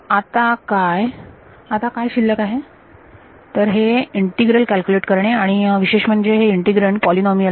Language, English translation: Marathi, Now, what remains is to calculate this integral and the integrand is a polynomial in general